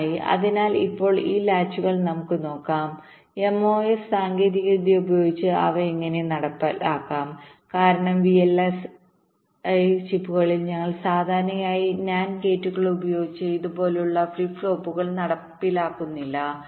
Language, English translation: Malayalam, so now let us see, ah these latches, how they can be implemented using mos technology, because in v l s i chips we normally do not implement flip flops like this using nand gates